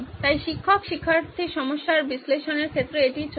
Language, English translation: Bengali, So this is what is going on with respect to the analysis of the teacher student problem